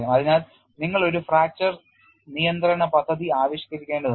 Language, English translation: Malayalam, So, you need to evolve a fracture control plan